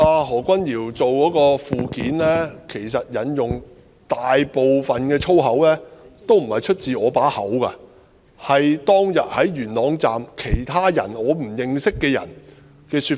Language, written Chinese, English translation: Cantonese, 何君堯議員的附件所引用的大部分粗言穢語，也不是出自我口中，而是當天在元朗站的其他人——我不認識的人——的說法。, Most of the foul language quoted in Dr Junius HOs Appendix did not come from my mouth but was instead uttered by others not of my acquaintance at Yuen Long Station on that day